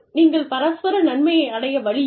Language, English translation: Tamil, There is no way, that you can achieve, mutual benefit